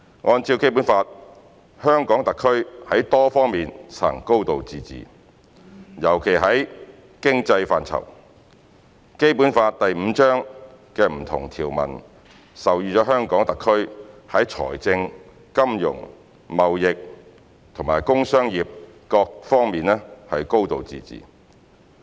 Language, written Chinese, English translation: Cantonese, 按照《基本法》，香港特區在多方面實行"高度自治"，尤其在經濟範疇，《基本法》第五章的不同條文授予香港特區在財政、金融、貿易和工商業各方面"高度自治"。, In accordance with the Basic Law HKSAR exercises a high degree of autonomy in many areas especially with respect to the economy . Various provisions in Chapter V of the Basic Law provide for the high degree of autonomy of HKSAR in public finance monetary affairs trade industry and commerce